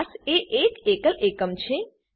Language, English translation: Gujarati, Class is a single unit